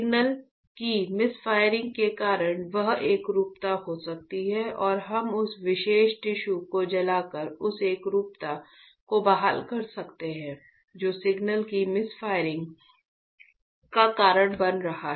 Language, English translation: Hindi, That uniformity is lost because of the misfiring of signals and we can restore that uniformity by burning that particular tissue which is causing misfiring of signal